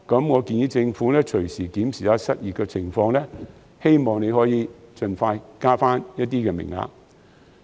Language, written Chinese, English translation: Cantonese, 我建議政府隨時檢視失業的情況，希望可以盡快增加名額。, I suggest that the Government should keep the unemployment situation under review and increase the number of places as soon as possible